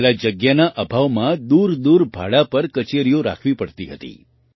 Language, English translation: Gujarati, Earlier, due to lack of space, offices had to be maintained on rent at far off places